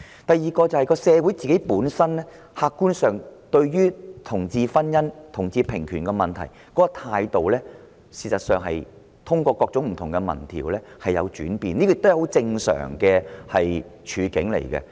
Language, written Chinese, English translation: Cantonese, 第二，社會對同志婚姻和同志平權的客觀態度，事實上可從各種不同民調發現確有轉變，而這亦屬相當正常。, Secondly the objective attitudes towards same - sex marriage and equal rights for homosexuals have changed in our society as reflected from the results of many different opinion surveys which is a normal change